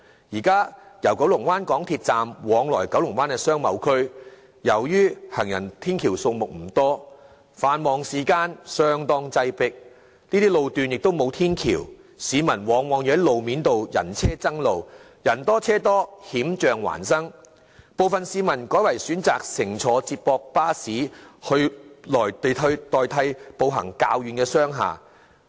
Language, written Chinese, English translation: Cantonese, 現時由九龍灣港鐵站往來九龍灣商貿區，由於行人天橋數目不多，繁忙時間相當擠迫，這些路段沒有天橋，市民往往要在路面步行，人車爭路，人多車多，險象環生，部分市民改為選擇乘坐接駁巴士代替步行前往較遠的商廈。, At present due to the limited number of footbridge people travelling to and from Kowloon Bay MTR Station and Kowloon Bay Business Area during rush hours will walk onto the motorways to compete for use of roads with vehicles because it is so crowded everywhere and footbridge is totally absent in the road section concerned thus exposing themselves to various kinds of road dangers . Some people may choose to take the shuttle bus instead of walking over to more distant commercial buildings